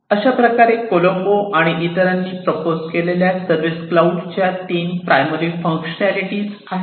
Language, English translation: Marathi, So, these are the 3 primary functionalities of the service cloud as per the proposal by Colombo et al